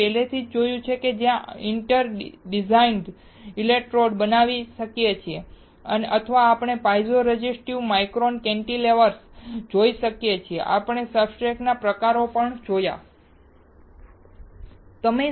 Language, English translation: Gujarati, We have already seen, where we can make inter digitated electrodes or we can see piezo resistive micro cantilevers, we have also seen types of substrate